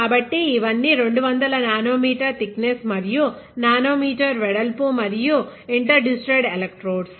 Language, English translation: Telugu, So, these are all 200 nano meter thickness and 200 nano meter width and spacing interdigitated electrodes